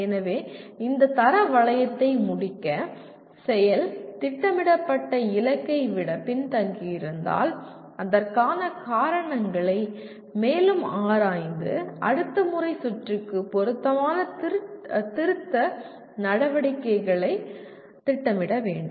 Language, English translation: Tamil, So quality loop again to complete this, action, if the attainment lags behind the planned target, we need to further analyze the reasons for the same and plan suitable corrective actions for the next time round